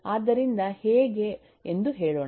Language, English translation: Kannada, so we know that it is